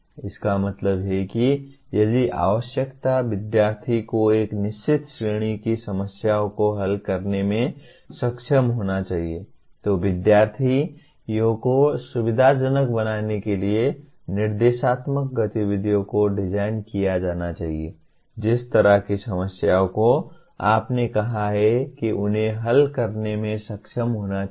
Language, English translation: Hindi, That means if the requirement is student should be able to solve a certain category of problems, instructional activities should be designed to facilitate the students to solve the kind of problems you have stated that they should be able to solve